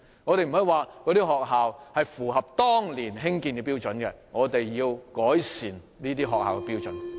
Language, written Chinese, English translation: Cantonese, 我們不應以學校的設施符合當年興建的標準為藉口，而應改善這些學校的設施。, Instead of using the pretext that school facilities were in compliance with the standards in effect when they were constructed years back we should seek to improve the facilities of the schools